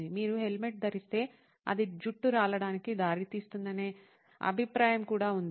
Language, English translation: Telugu, Apparently, also, there is a perception that if you wear a helmet it leads to hair loss